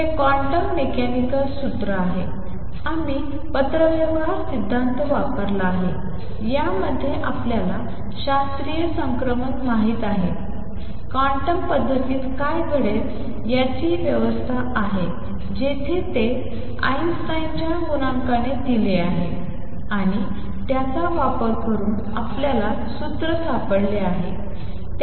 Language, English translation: Marathi, So, this is the formula which is quantum mechanical, we have used correspondence principle, in this we have mix rates of we know transition in classical, the regime to what would happen in the quantum regime, where it is given by the Einstein’s A coefficient and using that we have found the formula